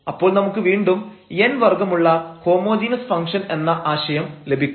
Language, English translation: Malayalam, So, we will call this such a function a function a homogeneous function of order n